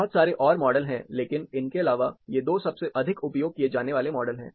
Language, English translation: Hindi, There are lots of models, but apart from these, these are 2 most commonly used models